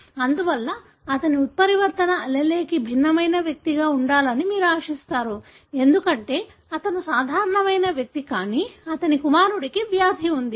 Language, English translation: Telugu, Therefore you would expect him to be heterozygous for the mutant allele, because he is normal, but his son had the disease